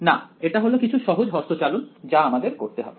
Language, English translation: Bengali, No right it is just some simple manipulation that I have to do